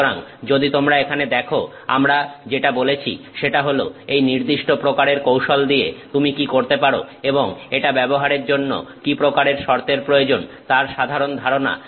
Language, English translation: Bengali, So, if you see here there is what we spoke about is the general idea of what you can do with this particular kind of technique and the kind of conditions that are required for using it